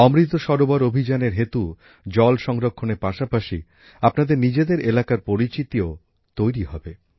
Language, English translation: Bengali, Due to the Amrit Sarovar Abhiyan, along with water conservation, a distinct identity of your area will also develop